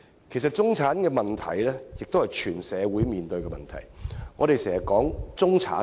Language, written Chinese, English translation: Cantonese, 其實，中產的問題正是全社會面對的問題。, In fact the problems confronting the middle class are exactly the problems faced by society as a whole